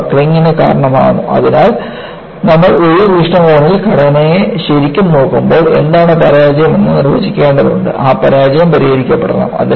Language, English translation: Malayalam, So, when you are really looking at structure, in the larger perspective, you will have to define, what the failure is and that failure, should be addressed